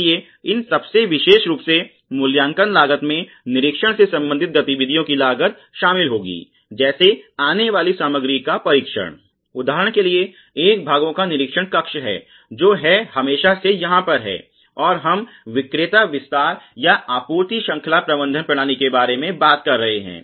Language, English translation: Hindi, So, these most specifically, the appraisal costs would include costs of activities related to inspection, test of incoming material, there is for example, parts inspection cell which is always there, and we are talking about vendor development or supplies chain management systems